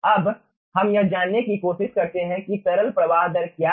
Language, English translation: Hindi, ah, let us right to find out what is a liquid ah flow rate